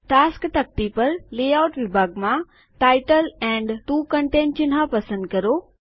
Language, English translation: Gujarati, From the Layout section on the Tasks pane, select Title and 2 Content icon